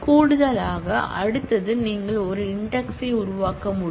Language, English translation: Tamil, In addition, the next that you can do is you can create an index